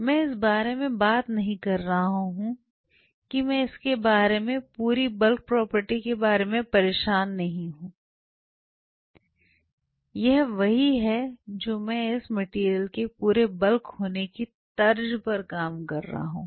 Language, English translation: Hindi, I am talking about I am not bothered about the whole bulk property of it this is what I am hatching the lines this is the whole bulk of that material ok